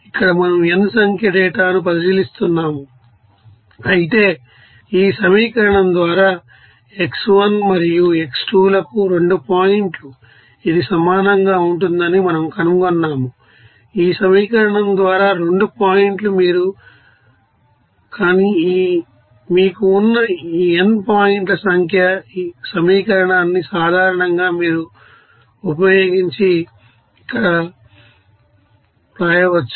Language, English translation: Telugu, So, because here we are considering that n number data whereas for 2 points x1 and x2 we have discovered that this will be equal to simply this equation by this equation that 2 points you can get this integrals, but n number of points that you have to use this equation and in general you can write this equation here